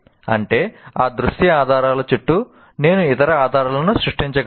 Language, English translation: Telugu, That means, can I create some kind of other clues around that, visual clues